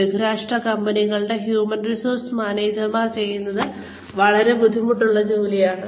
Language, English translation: Malayalam, The human resources managers of multinational companies are doing, such a difficult job